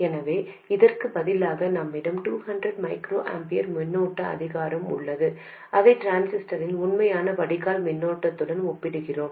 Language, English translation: Tamil, So, instead of this, what we do is we have a 200 microampure current source and we compare that to the actual drain current of the transistor, whatever that is